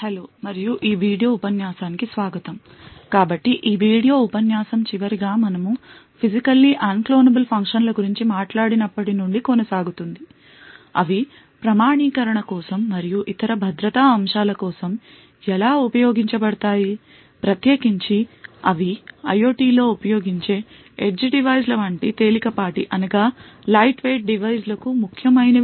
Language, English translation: Telugu, so this video lecture continues from the last one where we spoke about Physically Unclonable Functions and how they could possibly used for authentication and for other security aspects, especially they would be important for lightweight devices like edge devices that are used in IOT